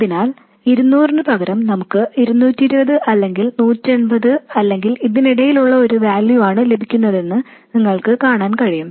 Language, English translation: Malayalam, So you can see that instead of 200 we are getting either 220 or 180 or some value in between